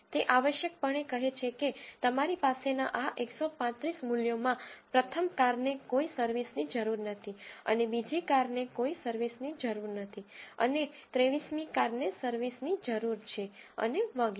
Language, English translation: Gujarati, It essentially says in this 135 values you have, first car no service is needed, and second car no service is needed, and for the 23rd car service is needed and so on